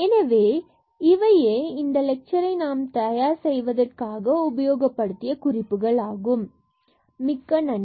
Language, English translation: Tamil, So, these are the references used for preparing these lectures